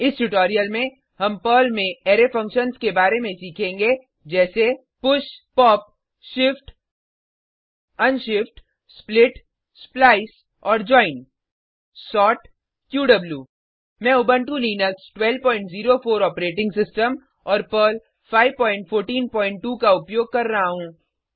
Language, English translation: Hindi, Welcome to the spoken tutorial on Array Functions in Perl In this tutorial, we will learn about Array functions in Perl, like 00:00:11 00:00:10 push pop shift unshift split splice and join sort qw I am using Ubuntu Linux12.04 operating system and Perl 5.14.2 I will also be using the gedit Text Editor